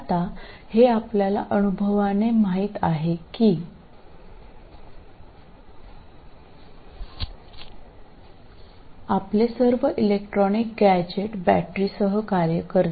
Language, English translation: Marathi, Now this you know by experience, you know that all your electronic gadgets work with the battery